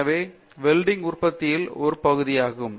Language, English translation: Tamil, So, welding which is a part of the manufacturing